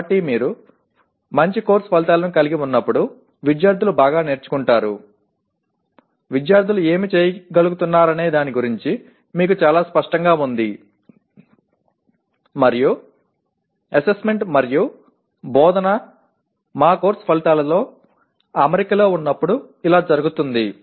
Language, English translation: Telugu, So students learn well when you have good course outcomes that you are very clear about what the students should be able to do and when assessment and instruction are in alignment with the, our course outcomes, okay